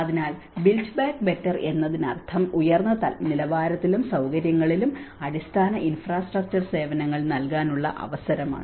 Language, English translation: Malayalam, So, this is what the built back better means opportunity to provide basic infrastructure services to high level of quality and amenity